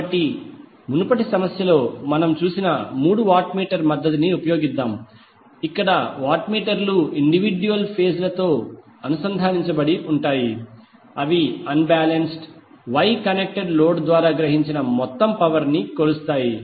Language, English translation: Telugu, So in the previous problem what we saw we will use three watt meter method where the watt meters are connected to individual phases to measure the total power absorbed by the unbalanced Y connected load